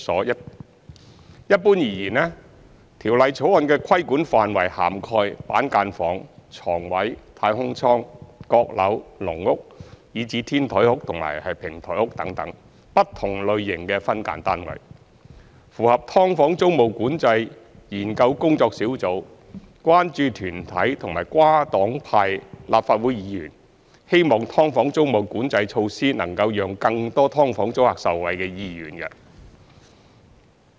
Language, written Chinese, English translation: Cantonese, 一般而言，《條例草案》的規管範圍涵蓋板間房、床位、"太空艙"、閣樓、"籠屋"，以至"天台屋"和"平台屋"等不同類型的分間單位，符合"劏房"租務管制研究工作小組、關注團體和跨黨派立法會議員希望"劏房"租務管制措施能讓更多"劏房"租客受惠的意願。, Generally speaking the scope of regulation of the Bill covers different types of SDUs such as cubicles bedspaces capsules cocklofts cage homes as well as rooftop and podium units . This is in line with the hope of the Task Force for the Study on Tenancy Control of Subdivided Units concern groups and Members from different political parties and groupings of the Legislative Council that tenancy control on SDUs should protect as many SDU tenants as possible